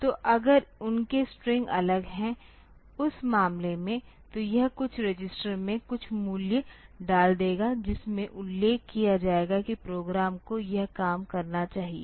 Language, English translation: Hindi, So, if their strings are different in that case it will put some value into some register mentioning that the program should do this thing